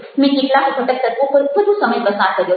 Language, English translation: Gujarati, i have spent more time over some of the other elements